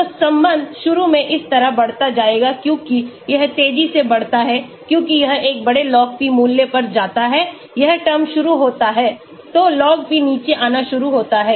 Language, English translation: Hindi, So, the relation will go like this increases initially because of this it increases fast as it goes to a large log p value this term starts taking place, so, the log p starts coming down